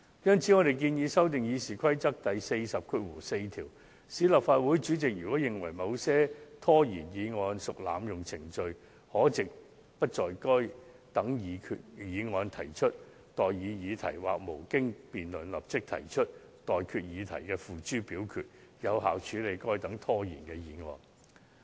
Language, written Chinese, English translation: Cantonese, 因此，我們建議修訂《議事規則》第404條，賦權立法會主席在其認為某些拖延議案屬濫用程序，可藉不就該等議案提出待議議題或無經辯論立即提出待決議題付諸表決，以有效處理該等拖延議案。, Therefore we propose to amend RoP 404 to the effect that the where the PresidentChairman is of the opinion that the moving of a dilatory motion is an abuse of procedure he has the power of not to propose the question or to put the question forthwith without debate in order to deal effectively with dilatory motions